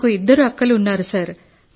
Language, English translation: Telugu, Actually I have two elder sisters, sir